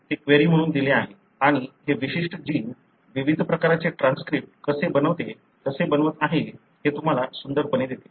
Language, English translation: Marathi, I have given that as a query and it gives you beautifully as to how this particular gene is making various different types of transcripts